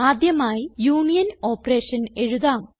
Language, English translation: Malayalam, First let us write a union operation